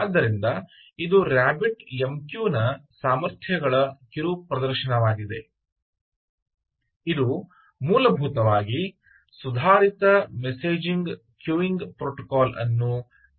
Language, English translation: Kannada, so this is a mini demonstration of the capabilities of a rabbit mq which essentially is implemented based on the advanced messaging queuing protocol